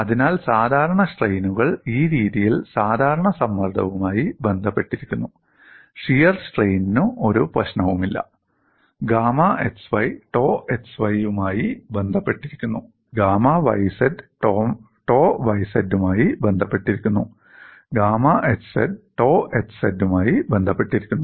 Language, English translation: Malayalam, So, the normal strains are related to normal stress in this fashion, shears strain there is no problem, gamma x y is related to tau x y, gamma y z is related to tau y z, gamma x z is related to tau x z